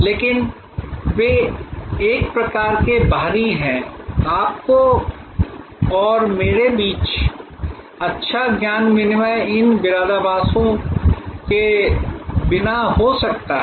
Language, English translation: Hindi, But, they are kind of external, the good knowledge exchange between you and me can happen without these paraphernalia